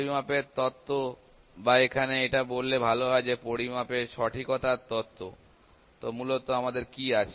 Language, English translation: Bengali, Theory of measurement or it can better put it here theory of measurement accuracy